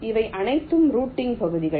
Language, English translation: Tamil, ok, these are all routing regions